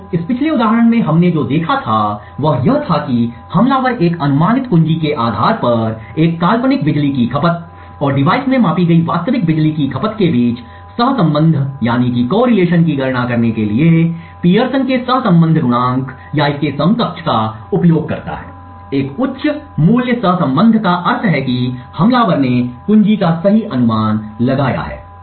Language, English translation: Hindi, So what we had looked in this previous example was that the attacker uses a Pearson's correlation coefficient or something equivalent in order to compute the correlation between a hypothetical power consumption based on a guess key and the actual power consumption measured from the device, a high value of correlation implies that the attacker has guessed the key correctly